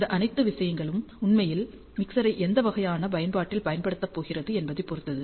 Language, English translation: Tamil, And all these things actually depend on the mixer is going to be used in what kind of application